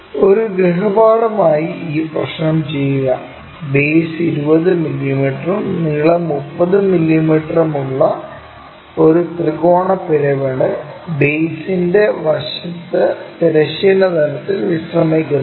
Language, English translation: Malayalam, And this problem, work it out as a homework, where a triangular pyramid of edge of the base 20 mm and length 30 mm is resting on a side of the base horizontal plane